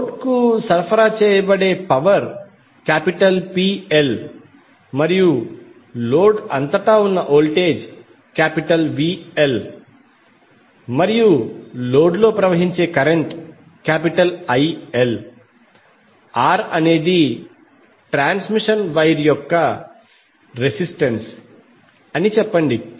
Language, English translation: Telugu, Let us say that the power being supplied to the load is PL and the voltage across the load is VL and the current which is flowing in the load is IL, R is the resistance of the transmission wire